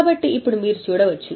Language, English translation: Telugu, So now you can have a a look